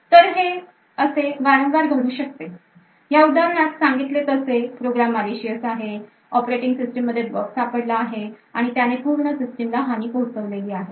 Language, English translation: Marathi, So, this occurs quite often what we see is that for example for this program is malicious it has found a bug in the operating system and it has created and exploit and has compromise the entire operating system